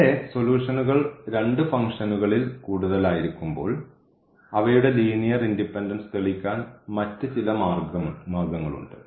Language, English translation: Malayalam, So, there are some other ways to prove the linear independence of the solutions when they are more than two functions